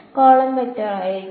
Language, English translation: Malayalam, The column vector will be